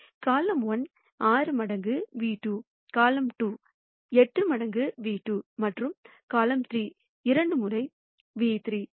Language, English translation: Tamil, Column 1 is 6 times nu 2, column 2 is 8 times nu 2 and column 3 is 2 times nu 3